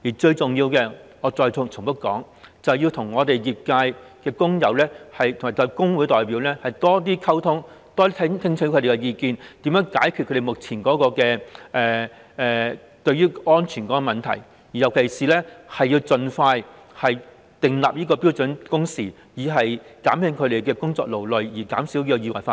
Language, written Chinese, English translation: Cantonese, 最重要的是——我要再重複指出——政府應該與業界工友及工會代表多多溝通，多些聽取他們的意見，看看怎樣解決目前的安全問題，特別是應該盡快訂定標準工時，減輕工友對工作的勞累，從而減少意外發生。, The most important of all I must repeatedly point out that the Government should communicate more with workers and trade union representatives of the industry and listen more to their views so as to find a way to solve the present safety issues . In particular it should expeditiously introduce standard work hours to alleviate workers tiredness and in turn reduce the chances of accidents